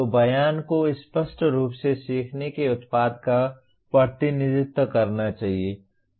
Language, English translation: Hindi, So the statement should clearly represent the learning product